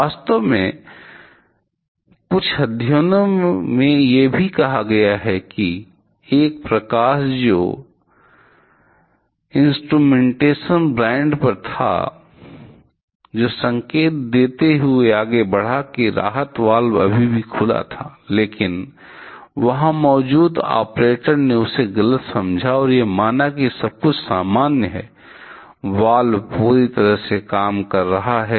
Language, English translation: Hindi, In fact, in some studies it also say showed that one light which was on the instrumentation brand that led following indicating, that the relief valve was is still open, but the operator who was there he misunderstood that symbol and assume that everything is normal, the valve is working perfectly